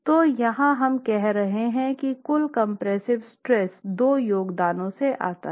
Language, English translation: Hindi, So here we are saying that the net the total compressive stress comes from two contributions